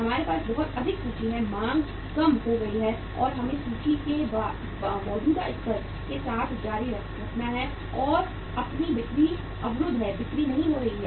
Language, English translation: Hindi, That you have huge inventory, demand has gone down, and we have to continue with the existing level of inventory and your sales are blocked, sales are not picking up